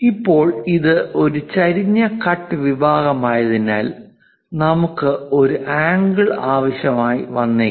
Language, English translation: Malayalam, Now, because it is an inclined cut section, we may require angle